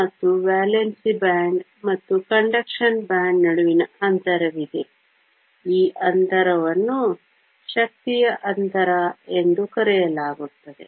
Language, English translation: Kannada, And, between the valence band and the conduction band there is a gap, this gap is called the energy gap